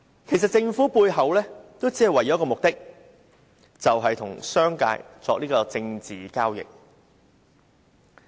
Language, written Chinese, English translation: Cantonese, 其實政府背後只有一個目的，就是與商界作政治交易。, In fact the Government had only one underlying motive in doing so that is to make a political deal with the business sector